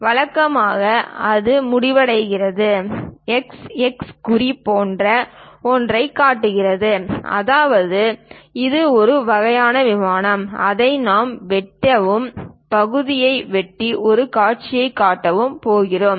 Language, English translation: Tamil, Usually, it ends, we show it something like a mark x x; that means it is a kind of plane which we are going to slice it, cut the section and show that view